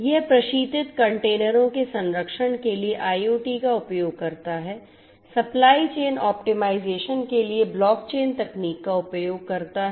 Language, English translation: Hindi, It uses IoT for preserving refrigerated containers uses blockchain technology for supply chain optimization